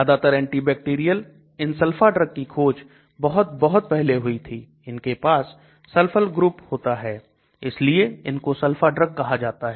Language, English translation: Hindi, More of antibacterial; these sulfa drugs were discovered very very early and they have this sulfur group that is why they are called sulfa drugs